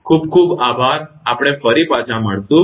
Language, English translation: Gujarati, Thank you very much we will be back again